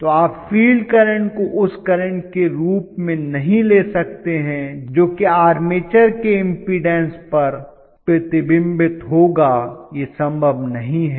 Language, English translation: Hindi, So you cannot really take the field current as the current which would reflect on the impedance of the armature that is not possible